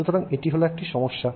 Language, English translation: Bengali, So, that is the problem that you have